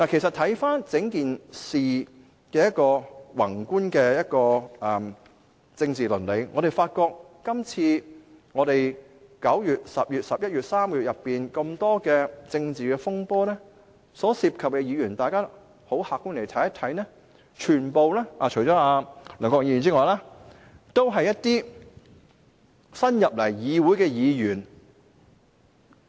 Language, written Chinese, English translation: Cantonese, 看回整件事情的宏觀政治倫理，我們發覺在9月、10月、11月這3個月內，多場政治風波所涉及的議員，客觀地看，除梁國雄議員外，都是一些新加入立法會的議員。, If we look at the macro political ethics of the entire issue we will find that the Members involved in a number of political storms in the three months of September October and November are from an objective point of view all new Members of the Legislative Council except Mr LEUNG Kwok - hung